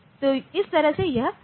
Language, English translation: Hindi, So, that way it will go